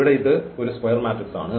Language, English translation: Malayalam, Now, here we will find the rank of the matrix